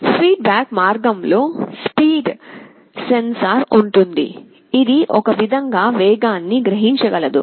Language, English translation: Telugu, There will be a speed sensor in the feedback path, it will be sensing the speed in some way